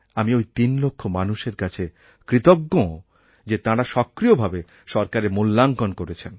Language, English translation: Bengali, I am grateful to these 3 lakh people that they displayed a lot of self initiative in rating the government